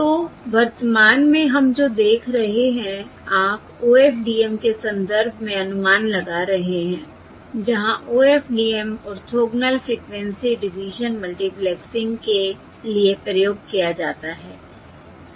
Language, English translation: Hindi, So what we are looking at currently is: you are looking at estimation in the context of OFDM, where OFDM stands for Orthogonal Frequency Division Multiplexing, correct